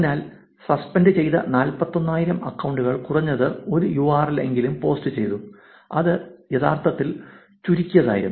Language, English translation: Malayalam, So, 41 thousand suspended accounts posted at least one URL, which was actually shortened